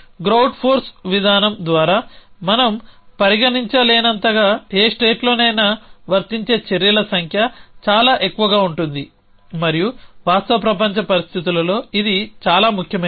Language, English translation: Telugu, The number of actions which are applicable in any given state is thus too many to we consider by a grout force approach and that is true in any real world situations value essentially